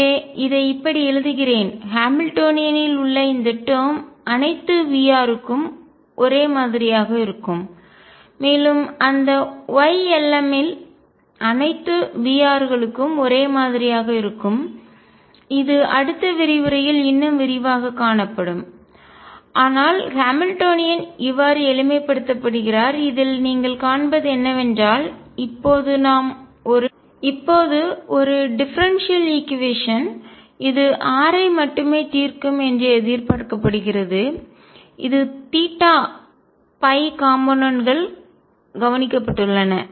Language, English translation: Tamil, So, let me write this; this term in the Hamiltonian will be the same for all V r and those y L ms will also be the same for all V rs, this will see in more detail in the next lecture, but this is how the Hamiltonian gets simplified and what you see in this is that now we are expected to solve only a differential equation which is for r the theta phi components have been taken care of